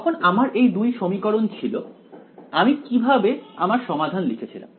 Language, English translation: Bengali, When I had these 2 equations, how did I write the solution